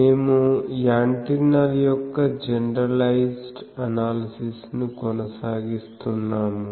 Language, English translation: Telugu, We were continuing that generalized analysis of Antennas